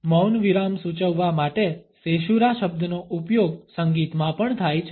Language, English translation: Gujarati, The word caesura is also used in music to suggest a silent pause